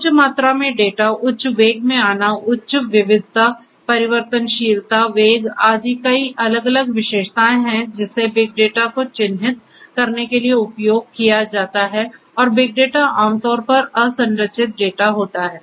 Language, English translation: Hindi, Data having high volume coming in high velocity, having high variety, variability, velocity and so on and so forth, so many different attributes all these different V’s where used to characterize the big data and big data is unstructured typically unstructured data